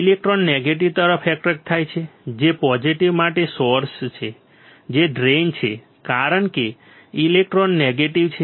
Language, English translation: Gujarati, Electrons are attracted from the negative which is source to the positive which is drain right, because electrons are negative